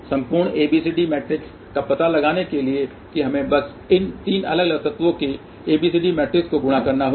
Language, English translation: Hindi, That to find out the overall ABCD matrix what we simply need to do it is multiply ABCD matrices of these 3 separate elements